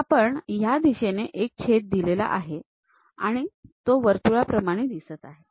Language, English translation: Marathi, So, we are having a slice in that direction, it looks like circle